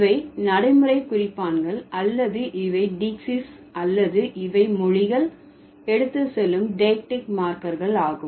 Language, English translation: Tamil, So, these are the pragmatic markers or these are the daxes or these are the diactic markers that languages carry